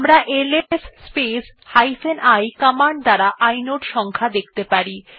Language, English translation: Bengali, We can use ls space i command to see the inode number of a file